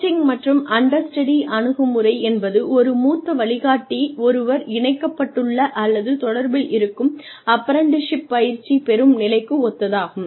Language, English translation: Tamil, Coaching and understudy approach, is similar to apprenticeship, where one is connected with, or put in touch with, a senior mentor